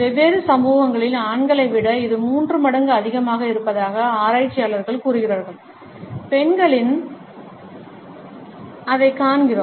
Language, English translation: Tamil, Researchers tell us that it is three times as often as men in different societies, we find that in women